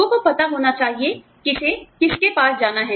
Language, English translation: Hindi, People should know, who to, go to